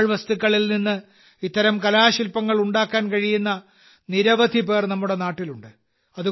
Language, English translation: Malayalam, There are many people in our country who can make such artefacts from waste